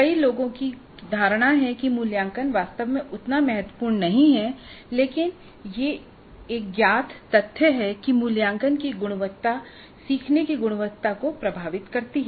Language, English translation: Hindi, Many have a notion that assessment is really not that important, but it is a known fact that the quality of assessment drives the quality of learning